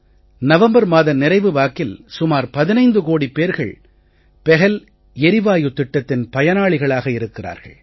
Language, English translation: Tamil, Till November end, around 15 crore LPG customers have become its beneficiaries